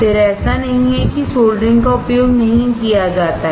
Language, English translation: Hindi, Again, it is not that soldering is not used